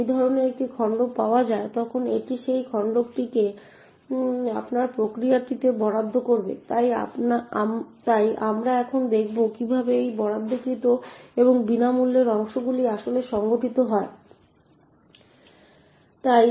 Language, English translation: Bengali, When such a chunk is found then it would allocate that chunk to your process, so we will now look at how these allocated and free chunks are actually organized